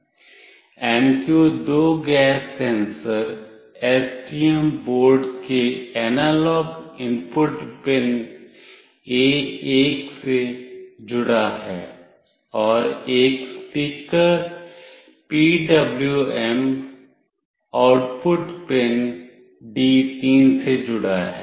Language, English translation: Hindi, The MQ2 gas sensor is connected to the analog input pin A1 of STM board and a speaker is connected to the PWM output pin D3